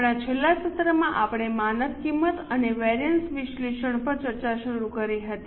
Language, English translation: Gujarati, In our last session we had started discussion on standard costing and variance analysis